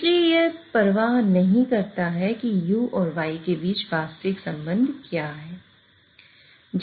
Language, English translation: Hindi, So it does not care whatever is the actual relationship between you and Y